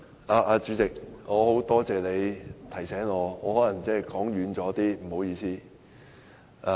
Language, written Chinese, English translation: Cantonese, 代理主席，多謝你提醒我，我可能離題了，不好意思。, Deputy Chairman thank you for reminding me . Pardon me for probably deviated from the subject